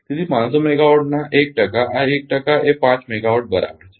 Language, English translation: Gujarati, So, 1 percent of these 1 percent of 500 megawatt is equal to 5 megawatt